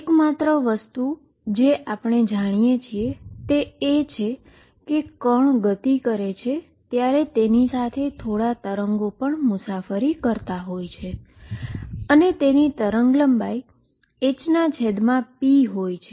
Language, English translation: Gujarati, The only thing we know is that there is some wave travelling with the particle when it moves and it has a wavelength h over p